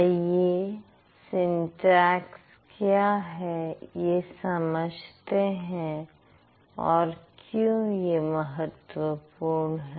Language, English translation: Hindi, Let's first try to understand what is syntax and why is it important